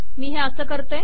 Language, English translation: Marathi, You do it as follows